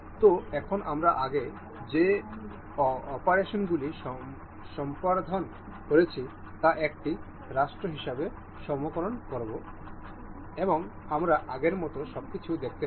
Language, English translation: Bengali, So, now, whatever the operations we have performed earlier they are saved as a state, and we can see the everything as before